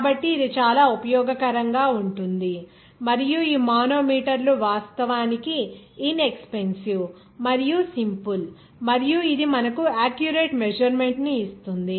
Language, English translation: Telugu, So, this is very useful and these manometers are actually inexpensive and simple and also it will give you that accurate measurement